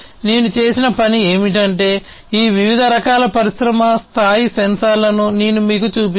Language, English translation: Telugu, And what I have done is I have shown you these different types of industry scale sensors that could be used